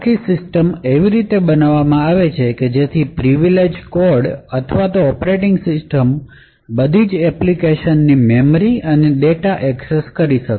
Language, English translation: Gujarati, Now the entire system is designed in such a way So, that the privileged code or operating system is able to access the memory and data of all other applications